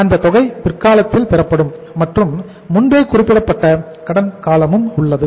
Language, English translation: Tamil, That amount will be received at the later date and there is a pre specified credit period